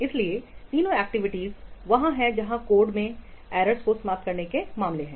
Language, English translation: Hindi, So three activities are there where in case of eliminating errors from the code